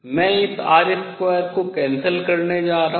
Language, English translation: Hindi, I am going to cancel this r square